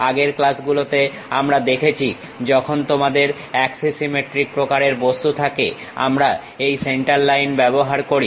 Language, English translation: Bengali, In the earlier classes we have seen when you have axis axisymmetric kind of objects, we use this center line